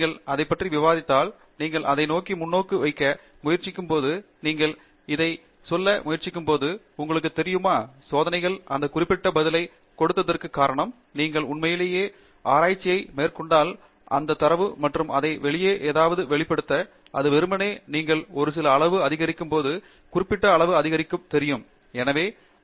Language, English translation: Tamil, When you discuss it, when you try to put perspective into it, when you try to say that, you know, this is the reason why the experiments gave that particular answer, that is when you are sort of actually doing research, beginning to analyze that data, and convey something out of it, which is more than just simply saying that you know particular parameter increases when you an increase some other parameter